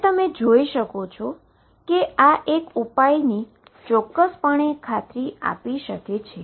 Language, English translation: Gujarati, So, you see now one solution is definitely guaranteed